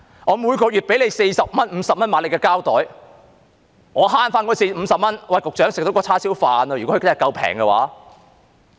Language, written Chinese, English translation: Cantonese, 我每月支付四五十元購買指定的膠袋，如可節省這50元，局長，便已足夠吃一盒叉燒飯。, I will have to pay 40 or 50 a month for the designated plastic bags and if I can save this 50 Secretary it will be enough for a box of barbecued pork with rice